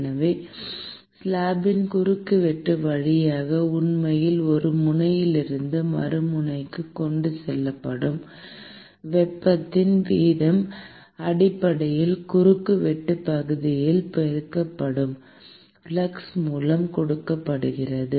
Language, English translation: Tamil, And, so, the rate of heat that is actually transported from one end to the other end via the cross section of the slab is essentially given by the flux multiplied by the cross sectional area